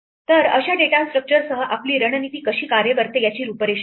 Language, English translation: Marathi, So, with such a data structure this is the outline of how our strategy works